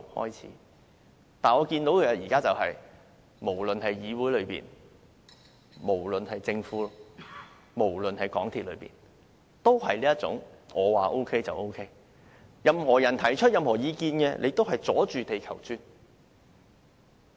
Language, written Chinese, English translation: Cantonese, 然而，我現在看到的是，無論議會、政府、香港鐵路有限公司均有這種"我說沒有問題就是沒有問題"的態度，任何人提出任何意見也是"阻住地球轉"。, Is it originated from the Council the Government or some other major institutions? . Nonetheless as I have currently observed the Council the Government and the MTR Corporation Limited MTRCL all have the attitude that when I say that it is fine it is fine and that anyone who puts forward any views is standing in the way